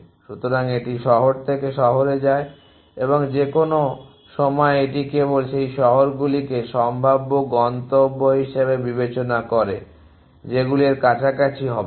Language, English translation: Bengali, So, it goes of city to city and at any point it only considers those cities as prospective destinations which will not close to